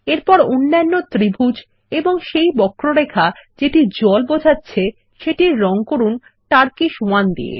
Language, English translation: Bengali, Next, lets color the other triangle and curve that represent water with the colour turquoise 1